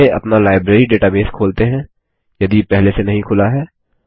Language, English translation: Hindi, Let us first open our Library database, if not already opened